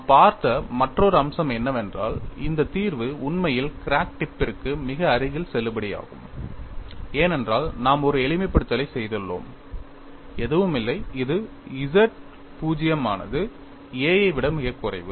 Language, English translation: Tamil, Another aspect what we looked at was, this solution is actually valid very close to the crack tip, because we have made a simplification z naught is much less than a and that is how you have got